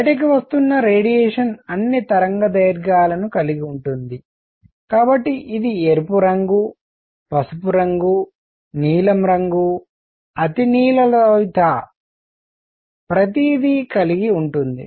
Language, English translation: Telugu, Radiation coming out has all wavelengths, so it will have red color, yellow color, blue color, ultraviolet, infrared everything it has